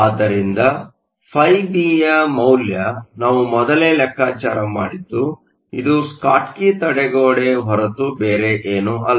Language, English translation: Kannada, So the value of B, we calculated earlier this is nothing but a Schottky barrier